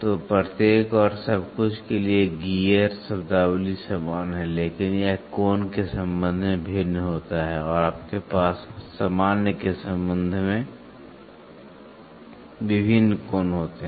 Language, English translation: Hindi, So, the gear terminologies for each and everything is the same, but it varies with respect to the angle, and you have to always have various angles with respect the normal one